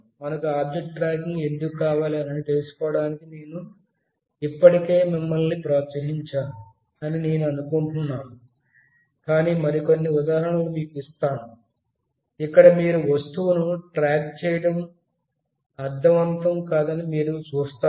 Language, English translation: Telugu, I think I have already motivated you like why do we need object tracking, but let me give you some more examples, where you will see that just tracking the object may not make sense